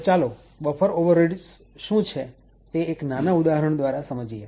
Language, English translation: Gujarati, So, let start with a small example of what buffer overreads is